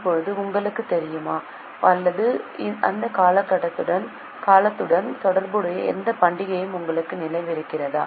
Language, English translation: Tamil, Now do you know or do you remember any festival which is associated with that period